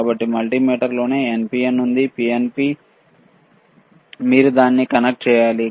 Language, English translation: Telugu, So, in the in the multimeter itself is NPN, PNP you have to connect it ok